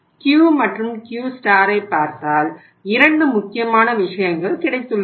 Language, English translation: Tamil, So if you see Q and Q star we have got 2 important things